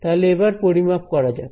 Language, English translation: Bengali, So, let us again calculate